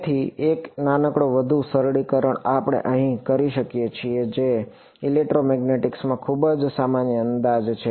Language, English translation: Gujarati, So, one small sort of further simplification we can do over here which is a very common approximation in electromagnetics